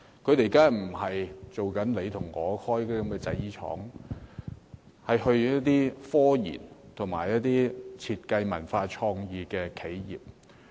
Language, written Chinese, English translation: Cantonese, 他們不是到我所屬界別的製衣廠實習，是去一些科研、設計、文化創意企業。, The enterprises where they worked are not garment factories of my sector but are in the areas of technological research design and culture and creativity